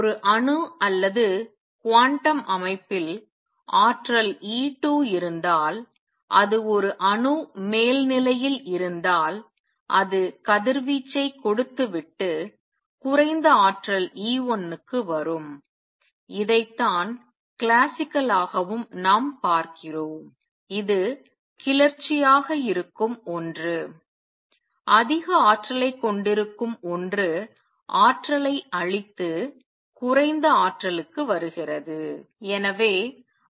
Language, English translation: Tamil, Then if an atom is in the upper state if an atom or a quantum system has energy E 2 it will give out radiation and come to lower energy E 1, this is what we see classically also something that is excited something it that has more energy gives out energy and comes to lower energy